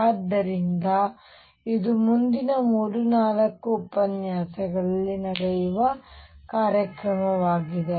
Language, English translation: Kannada, So, this is a program that will run over the next 3 4 lectures